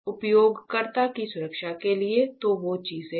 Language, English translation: Hindi, So, as to protect the user; so those things are there